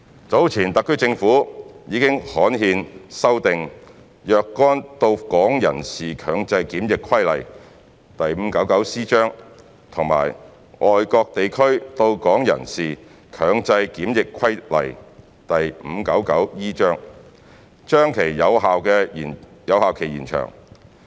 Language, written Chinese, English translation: Cantonese, 早前特區政府已刊憲修訂《若干到港人士強制檢疫規例》及《外國地區到港人士強制檢疫規例》，把其有效期延長。, The HKSAR Government has earlier published in the gazette to amend the Compulsory Quarantine of Certain Persons Arriving at Hong Kong Regulation Cap . 599C and the Compulsory Quarantine of Persons Arriving at Hong Kong from Foreign Places Regulation Cap